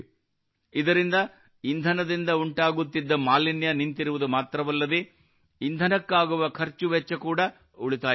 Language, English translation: Kannada, Due to this, whereas the pollution caused by fuel has stopped, the cost of fuel is also saved